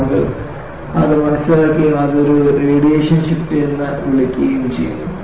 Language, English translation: Malayalam, And people have understood and call it as a radiation shift